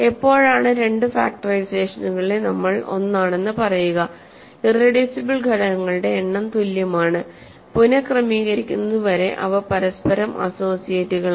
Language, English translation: Malayalam, When do we call two factorizations same, the number of irreducible factors that appear are same is equal and up to reordering they are associates of each other